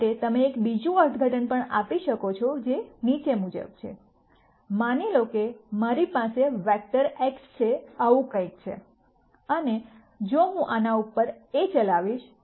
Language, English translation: Gujarati, There is also another interpretation you can give for this which is the following, supposing I have a vector x something like this and if I operate A on this